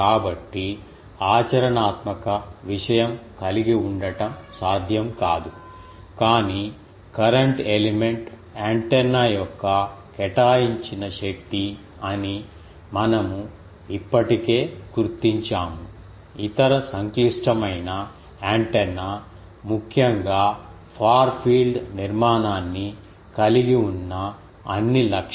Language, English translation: Telugu, So, it is not feasible ah to have a practical thing, but we have already noted that current element is the assigned force of antenna, it shows all the properties that any other complicated antenna have particularly the far field structure various other properties etcetera